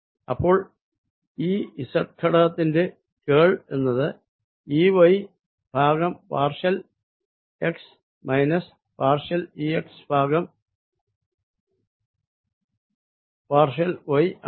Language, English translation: Malayalam, ok, so curl of e z component comes out to be partial e y over partial x, minus partial e x over partial y